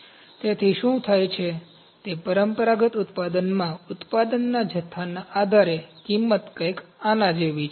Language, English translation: Gujarati, So, depending upon the production volume in traditional manufacturing what happens, the cost is something like this